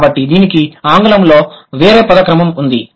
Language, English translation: Telugu, So that English has a different word order